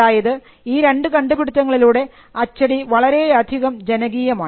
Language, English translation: Malayalam, Now these two inventions lead to printing becoming a mass activity